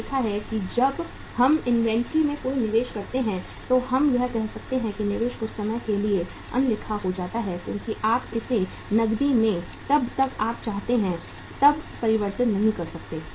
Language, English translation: Hindi, We have seen that when we make any investment in the inventory we can say that that investment becomes illiquid for some period of time because you cannot convert it into cash as and when you wanted